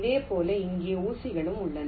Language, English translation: Tamil, similarly, there are pins here